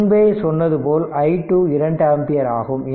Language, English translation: Tamil, So, i 1 is equal to 2 ampere right